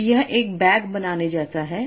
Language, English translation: Hindi, So this is like a bag for me